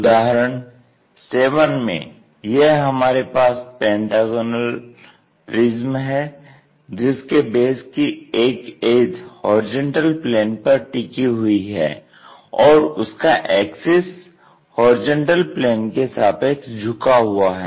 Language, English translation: Hindi, For example, here we have a pentagonal prism which is place with an edge of the base on horizontal plane, such that base or axis is inclined to horizontal plane